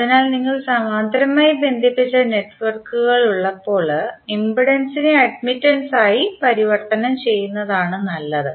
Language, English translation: Malayalam, So in this case when you have parallel connected networks, it is better to convert impedance into admittance